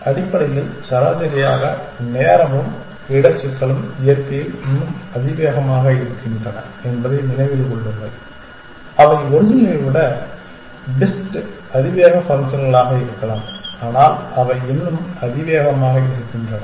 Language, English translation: Tamil, Essentially, keep in mind that time and space complexity on the average are still exponential in nature they may be better exponential functions than the original, but that they still tend to be exponential